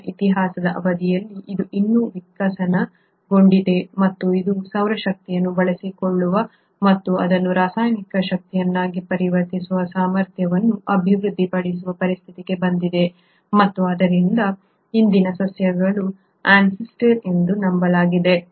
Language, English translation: Kannada, It has still evolved during the course of EarthÕs history and it has come to a situation where it has developed a capacity to on its own utilise solar energy and convert that into chemical energy, and hence are believed to be the ancestors of present day plants